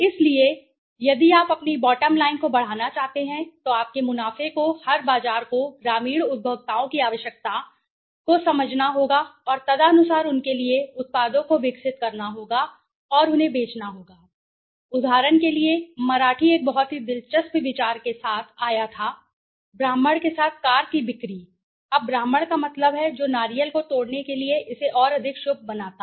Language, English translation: Hindi, So, if you want to be if you want to open a if you want to increase your bottom line your profits every marketer has to understand the requirement and need of the rural consumers and accordingly develop products for them and sell it to them right, for example, Marathi came up with a very interesting idea to you know they associated the sales of a car with a Brahmin now Brahmin mean the one who breaks the coconut to make it more auspicious right